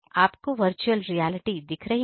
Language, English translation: Hindi, You see right the virtual reality scenario